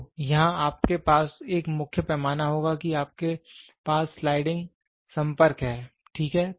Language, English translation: Hindi, So, here you will have a main scale you have a sliding contact, ok